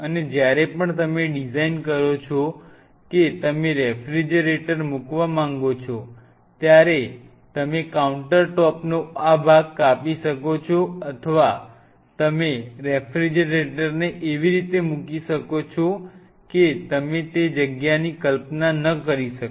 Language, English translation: Gujarati, And whenever you design that you want to place a refrigerator you can have this part the countertop may be cut at that point and you can place the refrigerator in such a way that you are not conceiving that space